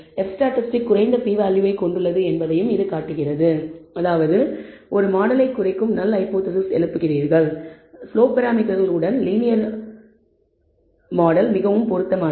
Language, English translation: Tamil, It also shows that the f statistic has also a low p value which means, you raise the null hypothesis that reduce model is adequate which means the linear model with the slope parameter is a much better fit